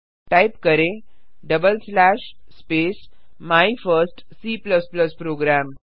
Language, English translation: Hindi, Type double slash // space My first C++ program